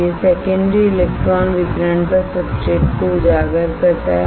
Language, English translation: Hindi, That it exposes substrate to secondary electron radiation